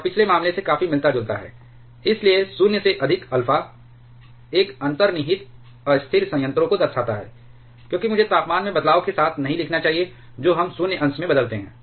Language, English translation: Hindi, And quite similar to the previous case, therefore, alpha the greater than 0, signifies an inherently unstable reactor, with I should not write with changes in temperature we changes in void fraction